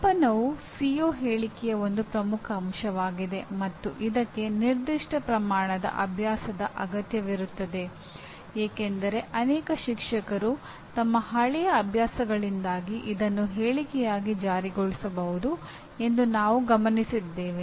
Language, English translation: Kannada, Measurability is one major or most important aspect of a CO statement and this requires certain amount of practice because what we observed many teachers kind of because of their old their habits may slip into a statement